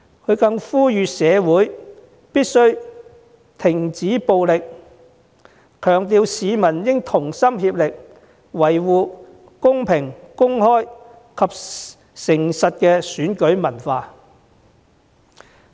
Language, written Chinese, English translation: Cantonese, 他又呼籲社會必須停止暴力，強調市民應該同心協力，維護公平公開及誠實的選舉文化。, He also called on the community to stop violence and emphasized that all members of the public should make concerted efforts to safeguard a fair open and honest election culture